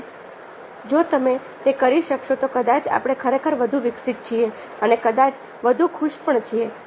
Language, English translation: Gujarati, if you are able to do that probably we we actually or more evolved and, in the end, probably more happy